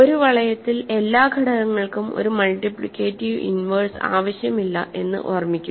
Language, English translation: Malayalam, Remember in a ring not every element is required to have a multiplicative inverse